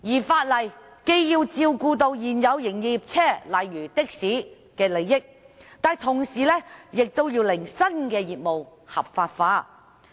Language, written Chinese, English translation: Cantonese, 法例既要照顧現有營業車輛的相關人士，例如的士司機的利益，同時亦要令新業務合法化。, The legislation has got to cater to the interests of the persons relating to the existing commercial vehicles such as taxi drivers and at the same time legalize the new business